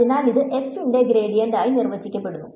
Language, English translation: Malayalam, So, this is defined as the gradient of f